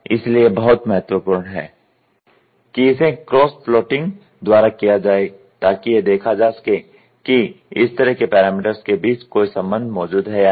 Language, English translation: Hindi, So, this is very important this is done by cross plotting such parameters to see whether a relationship exists between them